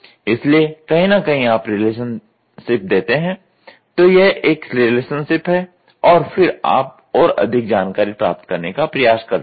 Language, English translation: Hindi, So, somewhere here you give the relationship; this is a relationship and then you try to get more informations